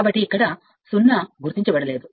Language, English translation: Telugu, So, at this 0 is not marked here